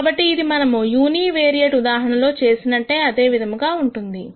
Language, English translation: Telugu, So, this is the complete equivalent of what we did in the univariate case